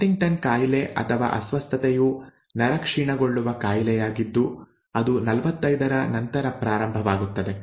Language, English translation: Kannada, By the way HuntingtonÕs disease or a disorder is a neurodegenerative disease that sets in after 45, okay